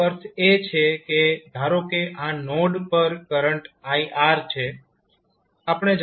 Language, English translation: Gujarati, That means that let us say that node this is the current ir